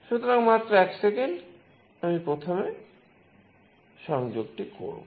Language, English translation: Bengali, So, just a second I will just make the connection first